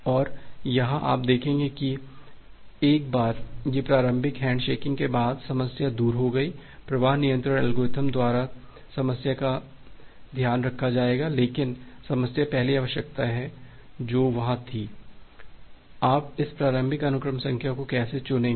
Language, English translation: Hindi, Now, here you will see that once this initial handshaking is done, the problem is gone, the problem will be taken care of by the flow control algorithm, but the problem is the first requirement which was there, that how will you choose this initial sequence number